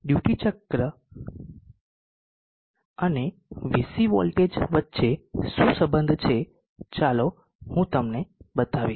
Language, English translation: Gujarati, What is the relationship between the duty cycle and the VC voltage, let me just show you